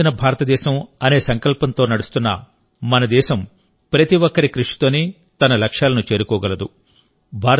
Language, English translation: Telugu, Friends, our country, which is moving with the resolve of a developed India, can achieve its goals only with the efforts of everyone